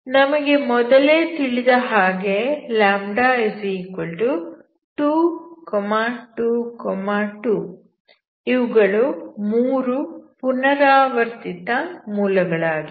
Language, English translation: Kannada, This we know already, so this will have λ=2,2, 2 that is three repeated roots